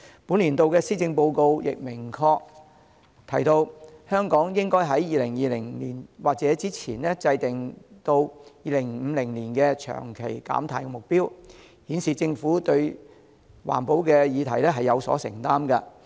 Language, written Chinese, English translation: Cantonese, 本年度施政報告亦明確提到，香港應該在2020年或之前制訂至2050年的長期減碳目標，顯示政府對環保議題有所承擔。, The Policy Address this year clearly states that Hong Kong needs to draw up by 2020 our own long - term decarbonization strategy up to 2050 revealing the commitment of the Government to environmental protection